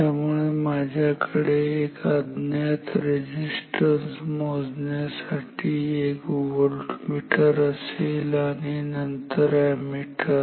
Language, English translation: Marathi, So, if I have to use a voltmeter and then ammeter to measured the resistance an unknown resistance